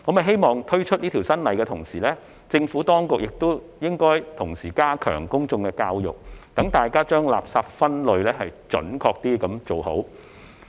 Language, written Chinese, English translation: Cantonese, 希望在推出這項新法例的同時，政府當局能夠加強公眾教育，讓大眾將垃圾準確分類。, I hope the Administration will step up public education in tandem with the introduction of this new legislation to enable members of the public to separate waste accurately